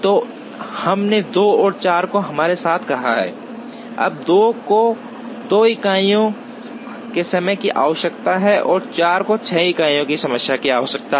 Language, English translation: Hindi, So, we have let us say 2 and 4 with us, now 2 requires the time of 2 units, 4 requires the time of 6 units